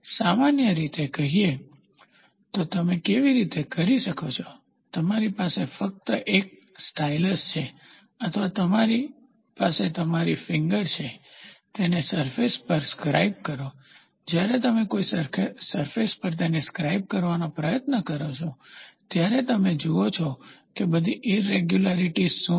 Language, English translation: Gujarati, Generally speaking, in a roughness how do you do it, you just have a stylus or you just have your finger, scribe it over the surface, when you try to scribe it over a surface then, you see what are all the irregularities